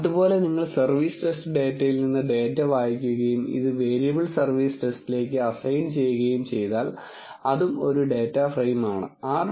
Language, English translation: Malayalam, Similarly, you will read the data from service test data and assign it to variable service test which is again a data frame